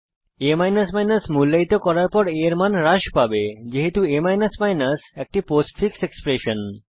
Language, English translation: Bengali, As value will be decremented after a is evaluated as its a postfix expression